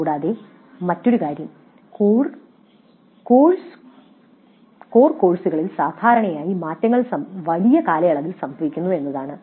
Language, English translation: Malayalam, And also another aspect is that generally changes in the core courses happen over longer periods